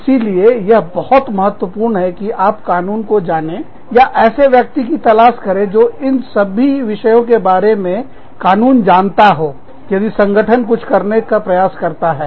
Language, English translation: Hindi, So, it is important for you, to know the law, or, for you, to find somebody, who knows the law, about these things, if your organization is trying, to do something